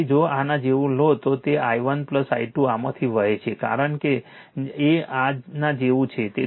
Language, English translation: Gujarati, So, if you take like this then i 1 plus i 2 flowing through this right, because you have taken like this